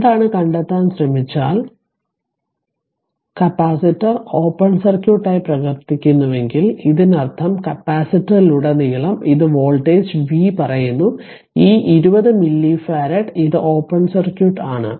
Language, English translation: Malayalam, So, if you try to find out that what is the; that if capacitor acts as open circuit, that means this is the voltage v say across the capacitor this 20 milli farad it is open circuit